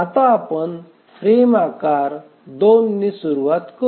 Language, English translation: Marathi, Let's start with the frame size 2